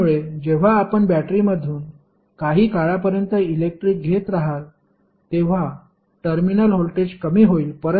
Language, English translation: Marathi, So, because of that when you keep on supplying power from the battery after some time the terminal voltage will go down